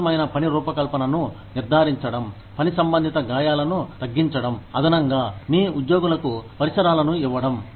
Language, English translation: Telugu, Ensuring safe work design, to minimize work related injuries, in addition to, giving your employees, the equipment